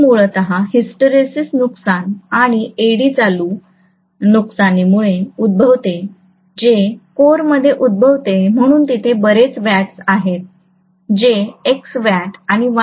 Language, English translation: Marathi, This is essentially due to hysteresis losses and Eddy current losses that take place within the core so if that is so many watts, X watts or Y watts